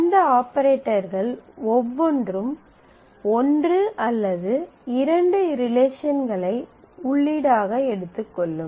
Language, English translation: Tamil, And each one of these operators can take 1 or 2 relations as input and they produce 1 relation as a result